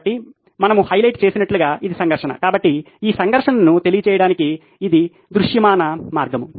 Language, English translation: Telugu, So, this is the conflict as we have highlighted, so this is a visual way to convey this conflict